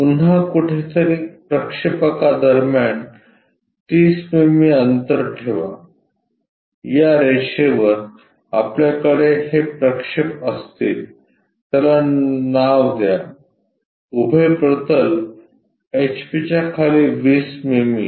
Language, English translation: Marathi, Again leave 30 mm gap between the projectors somewhere there, on this line we will have these projections name it as vertical plane 20 mm below HP